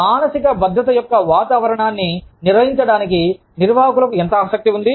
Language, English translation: Telugu, How much is the management interested, in maintaining, a climate of psychological safety